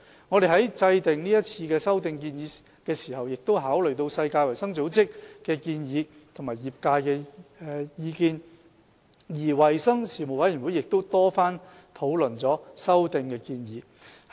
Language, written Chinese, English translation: Cantonese, 我們在制訂是次修訂建議時，已考慮世界衞生組織的建議及業界的意見，而衞生事務委員會亦曾多番討論修訂建議。, We have considered the recommendations of the World Health Organization WHO and the views of the trade when formulating the proposed amendments and there has also been considerable discussion about the proposed amendments by the Panel on Health Services